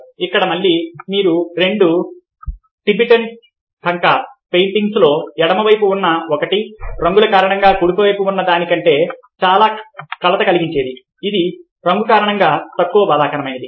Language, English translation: Telugu, here again, you find that ah the two tibetan thanka paintings the one on the left, because of the colours, is much more disturbing than the one on the right, which is ah because of the colour, is less traumatic